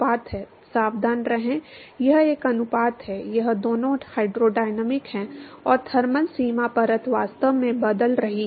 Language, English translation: Hindi, Be careful it is a ratio, it is both the hydrodynamic and the thermal boundary layer actually is changing